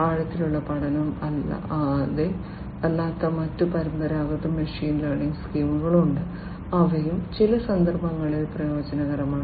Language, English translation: Malayalam, There are other non deep learning, the traditional machine learning schemes, which are also advantageous in certain contexts